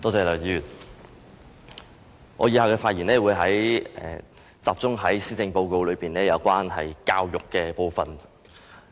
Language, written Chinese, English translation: Cantonese, 梁議員，我以下發言會集中於施政報告有關教育的部分。, Mr LEUNG my speech will focus on the part on education in the Policy Address